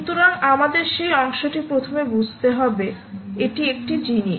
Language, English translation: Bengali, so we have to understand that part first